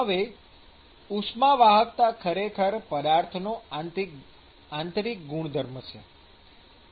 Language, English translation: Gujarati, Now, note that thermal conductivity is actually an intrinsic property